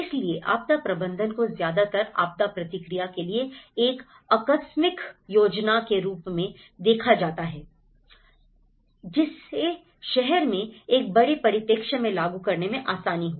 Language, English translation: Hindi, So, disaster management is mostly seen as a contingency planning for disaster response whether in a larger perspective on urban resilience